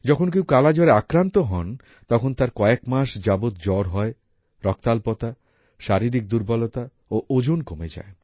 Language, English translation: Bengali, When someone has 'Kala Azar', one has fever for months, there is anemia, the body becomes weak and the weight also decreases